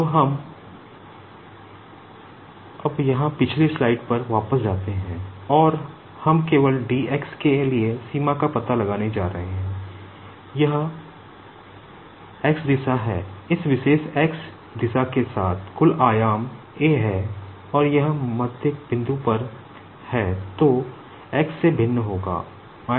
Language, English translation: Hindi, Now, let us go back to the previous slide now here and we are just going to find out the limit for dx, now this is the x direction and along this particular x direction the total dimension is a and this is at the midpoint